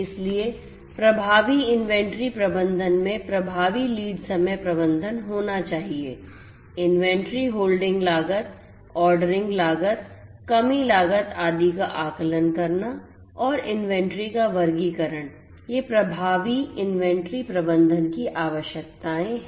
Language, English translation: Hindi, So, effective inventory management should have effective lead time management, estimating the inventory holding costs, ordering costs, shortage costs etcetera and classification of inventories these are the requirements for effective inventory management